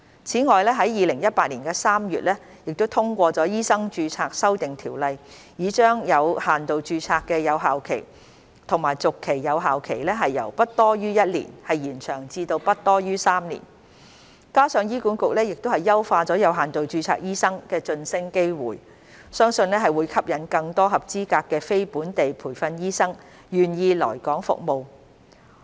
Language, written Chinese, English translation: Cantonese, 此外，在2018年3月通過的《2018年醫生註冊條例》已將有限度註冊的有效期和續期有效期由不多於1年延長至不多於3年，加上醫管局已優化有限度註冊醫生的晉升機會，相信會吸引更多合資格的非本地培訓醫生願意來港服務。, Moreover the Medical Registration Amendment Ordinance 2018 passed in March 2018 has extended the validity period and renewal period of limited registration from not exceeding one year to not exceeding three years; coupled with HAs enhancement of the promotion opportunities for doctors with limited registration it is believed that more qualified non - locally trained doctors will be willing to serve in Hong Kong